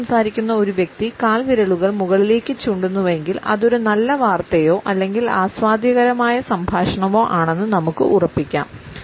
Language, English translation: Malayalam, If we happen to look at a person who is talking on a phone and then the toes are pointing upward, we can almost be sure that it is a good news or an enjoyable conversation at least